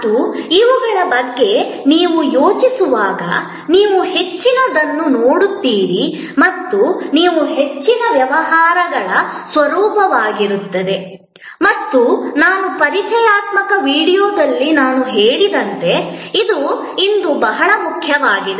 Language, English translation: Kannada, And as you think about these, you will see that more and more, these will be the nature of most businesses and as I mentioned in my introductory video, this is very important today